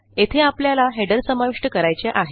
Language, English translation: Marathi, Similarly, we can insert a header into the document